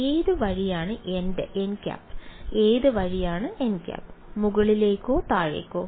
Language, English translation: Malayalam, Which way is n hat; which way is n hat, upwards or downwards